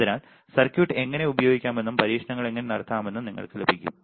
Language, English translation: Malayalam, So, that you get the idea of how to use the circuit and how to perform experiments